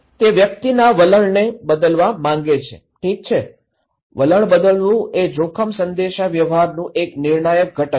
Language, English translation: Gujarati, He wants to change the attitude of the person okay, is changing attitude is one of the critical component of risk communications